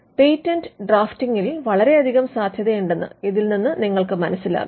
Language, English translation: Malayalam, Now this tells you that there is quite a lot of possibility in patent drafting